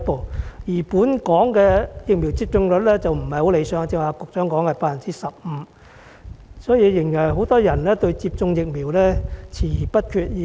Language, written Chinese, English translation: Cantonese, 反觀本港的疫苗接種率並不太理想，局長剛才說約為 15%， 顯示仍然有很多人對接種疫苗遲疑不決。, On the contrary the not - so - satisfactory vaccination rate in Hong Kong standing at about 15 % as the Secretary said earlier reveals that many people are still hesitant towards vaccination